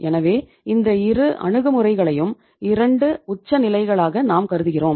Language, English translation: Tamil, So these 2 approaches we consider them they are the 2 extremes